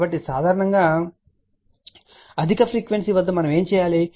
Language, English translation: Telugu, So, generally what do we do at higher frequency